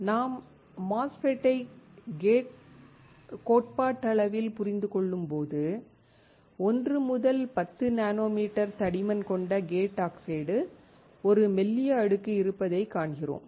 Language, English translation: Tamil, When we theoretically understand MOSFET, we see there is a thin layer of gate oxide with thickness of 1 to 10 nanometer